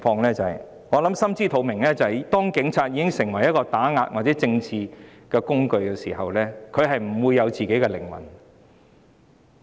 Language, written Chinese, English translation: Cantonese, 大家心知肚明，當警察成為打壓或政治工具時，便不再有靈魂。, This is obvious to all . When the Police have become the tool for suppression or for achieving political purposes they will no longer have souls